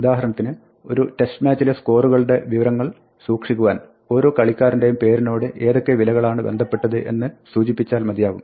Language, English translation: Malayalam, So, for instance, you might keep track of the score in a test match by saying that for each playerÕs name what is the value associated